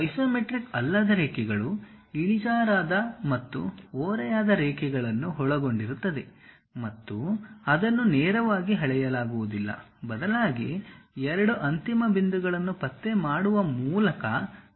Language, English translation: Kannada, Non isometric lines include inclined and oblique lines and cannot be measured directly; instead they must be created by locating two endpoints